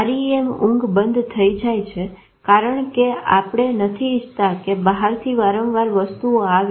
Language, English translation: Gujarati, REM sleep, this shuts off because you don't want frequent things coming in from outside